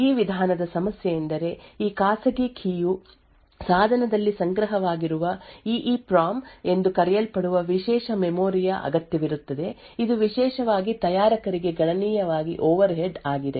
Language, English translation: Kannada, The problem with this approach is that this private key is stored in the device requires special memory known as EEPROM, which is considerably overhead especially to manufacturer